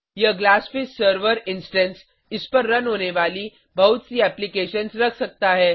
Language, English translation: Hindi, This Glassfish server instance may have many applications running on it